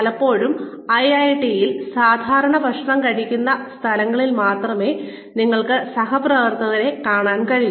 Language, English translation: Malayalam, Many times, in IIT, we are only able to meet our colleagues, in the common eating areas